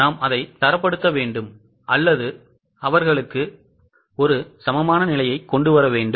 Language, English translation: Tamil, We have to standardize it or we have to bring them on equal footing